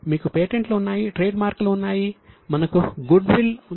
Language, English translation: Telugu, So, we have got patents, we have got trademarks, we have got goodwill